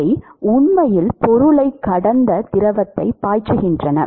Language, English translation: Tamil, They are actually pumping the fluid to flow past the object